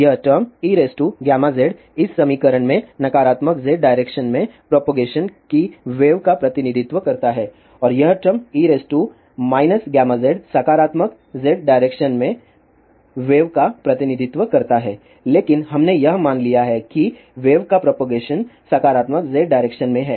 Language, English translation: Hindi, The term e raised to gamma z in this equation represent the propagating wave in negative z direction and the term e raised to minus gamma z represents the wave propagating in the positive z direction , but we have assumed that wave propagation is there in positive z direction